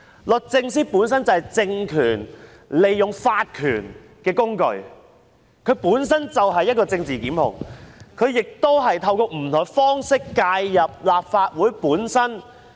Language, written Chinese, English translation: Cantonese, 律政司本身就是政權利用法權的工具，它本身就是政治檢控的工具，亦透過不同方式介入立法會的運作。, DoJ is a tool with legal power used by the regime and itself is a tool for political prosecution that also interfered with the operation of the Legislative Council in various ways